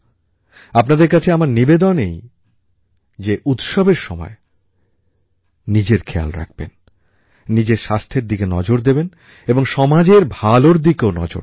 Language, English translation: Bengali, I would request all of you to take best care of yourselves and take care of your health as well and also take care of social interests